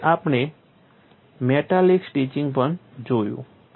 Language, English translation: Gujarati, Then we also saw metallic stitching